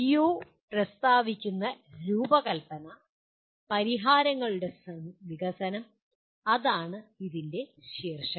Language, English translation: Malayalam, PO3 states that design, development of solutions that is the title of this